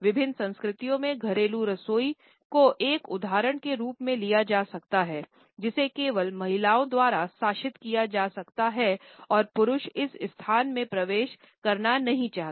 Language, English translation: Hindi, The domestic kitchen in various cultures can be taken as an example which can be governed only by women and men would not prefer to enter this space